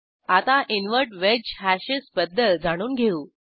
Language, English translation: Marathi, Now I will explain about Invert wedge hashes